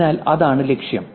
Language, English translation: Malayalam, So, that's the goal here